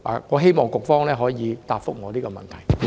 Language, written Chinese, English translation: Cantonese, 我希望局方可以回答我這個問題。, I hope the Bureau can answer me on this